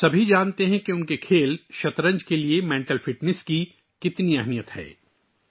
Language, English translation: Urdu, We all know how important mental fitness is for our game of 'Chess'